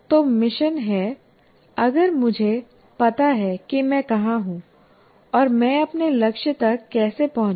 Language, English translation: Hindi, Then the mission is if I know where I am and how do I reach my target